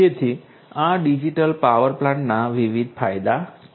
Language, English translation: Gujarati, So, these are these different benefits of digital power plants